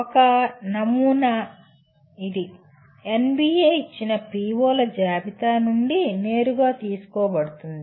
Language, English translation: Telugu, One sample, this is directly taken from the list of POs as given by NBA